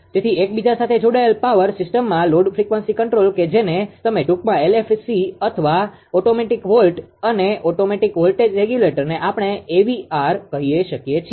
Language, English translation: Gujarati, So, in an interconnected power system load frequency control that is you can short you call LFC or automatic volt and automatic voltage regulator we call AVR equipment are installed for each generator right